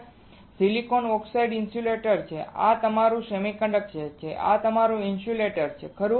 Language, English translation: Gujarati, Silicon dioxide is insulator this is your semiconductor this is your insulator, right